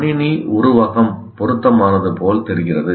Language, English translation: Tamil, It looked like a computer metaphor is an appropriate